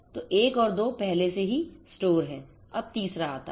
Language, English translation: Hindi, So, one and 2 already store now the third one comes